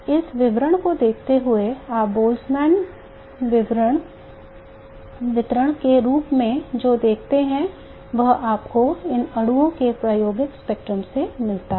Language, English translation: Hindi, Even this distribution what you see as the bolzmann distribution is what you get in the experimental spectrum of these molecules